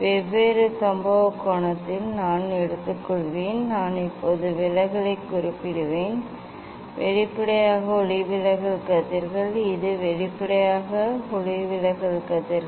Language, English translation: Tamil, for different incident angle I will take the; I will note down the deviation now, this is; obviously, refracted rays this is obviously, refracted rays